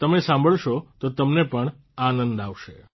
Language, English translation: Gujarati, Listen to it, you will enjoy it too